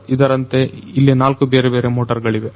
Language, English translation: Kannada, So, like this there are four different motors